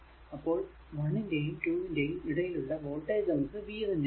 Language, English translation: Malayalam, So, voltage across one and 2 is v actually